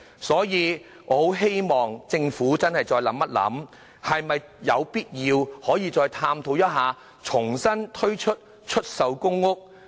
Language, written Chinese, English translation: Cantonese, 所以，我希望政府思考一下，是否有必要探討重推出售公屋。, Therefore I hope the Government can give consideration to the reintroduction of TPS